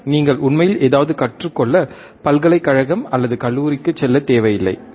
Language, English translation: Tamil, You do not really required to go to the university go to the or college and learn something, right